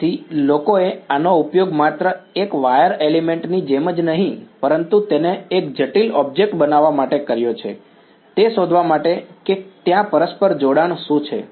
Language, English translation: Gujarati, So, people have used this as a model for not just like a one wire element, but make it a complicated object find out what is the mutual coupling over there ok